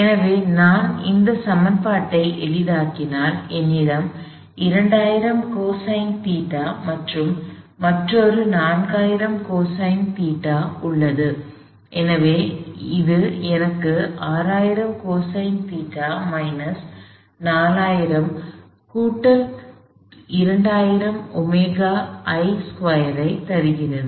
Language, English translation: Tamil, So, if I go head simplify this equation at 2000 cosine theta plus another 4000 cosine theta, so this gives me 6000 cosine theta minus 4000 plus 2000 omega I squared equal to 0